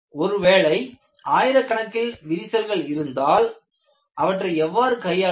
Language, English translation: Tamil, Now, there are studies, if there are thousands of cracks, how you can handle it